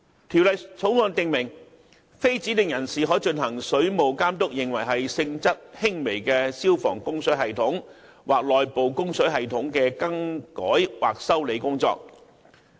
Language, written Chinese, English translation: Cantonese, 《條例草案》訂明，非指定人士可進行水務監督認為是性質輕微的消防供水系統或內部供水系統的更改或修理工作。, The Bill stipulates that alterations or repairs to a fire service or inside service which are in the opinion of the Water Authority of a minor nature may be carried out by persons other than designated persons